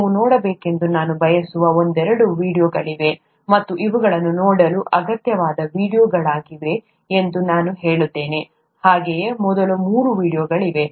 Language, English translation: Kannada, There are a couple of videos that I’d like you to see and I say that these are essential videos to see, so were the first three